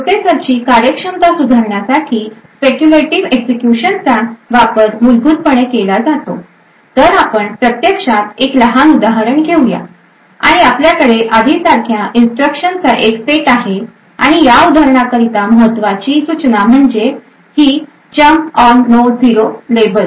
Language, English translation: Marathi, So speculative execution is used essentially to improve the performance of the processor, so let us actually take a small example and we have a set of instructions as before and one important instruction that is important for this example is this this is a jump on no 0 to a label